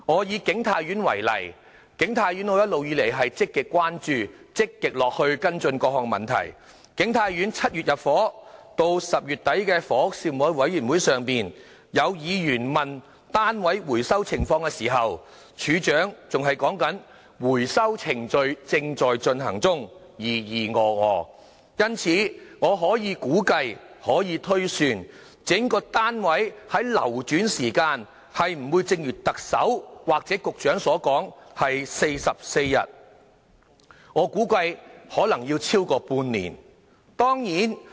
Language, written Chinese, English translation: Cantonese, 以景泰苑為例——我一直積極關注並跟進景泰苑的各項問題 ——7 月入伙，到10月底房屋事務委員會上，有議員問及單位回收的情況時，署長還在說"回收程序正在進行中"，支吾以對，因此，我可以估計及推算單位的流轉時間並不會如特首或局長所說需時44天，我估計可能超過半年。, I have been actively following up various issues related to King Tai Court . At a meeting of the Panel on Housing in October some Members enquired about the unit recovery progress to which the Director of Housing prevaricated by saying recovery is in progress . I can then assume that unit turnover will not be only 44 days as expected by the Chief Executive or the Secretary